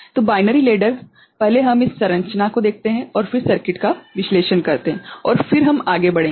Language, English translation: Hindi, So, the binary ladder first we see this structure and then analyse the circuit and then we shall move ahead